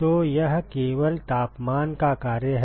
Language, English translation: Hindi, So, this is only a function of temperature correct